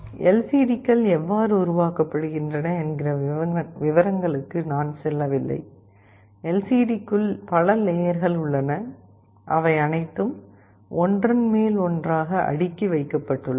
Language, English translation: Tamil, I am not going into the details of how LCDs are constructed; just like to tell you that LCD has a number of layers inside it, they are all sandwiched together